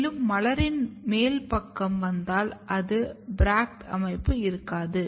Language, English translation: Tamil, And then if you come to the higher side there is a flowers which is without bract like structure